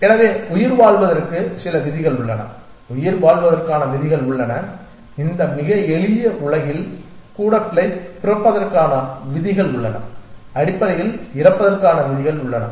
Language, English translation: Tamil, So, it has some rules for survival there are rules for surviving there are rules for being born even in this very simple world there rules for dying essentially